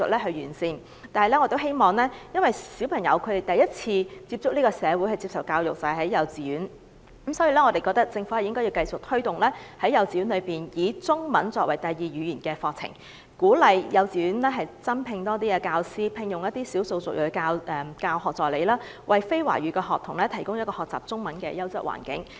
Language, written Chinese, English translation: Cantonese, 同時，由於小朋友首次接觸社會及接受教育是由幼稚園開始，故此，我們認為政府應繼續推動幼稚園以中文作為第二語言的課程，鼓勵幼稚園增聘多一些教師及聘用少數族裔教學助理，為非華語學童提供一個學習中文的優質環境。, Meanwhile since kindergarten is where children first come into contact with society and begin their education we think the Government should keep promoting the curriculum of teaching Chinese language as a second language in kindergartens . Kindergartens should also be encouraged to employ more teachers and take on people of ethnic minorities as teaching assistant so as to provide NCS students with a quality environment for learning Chinese language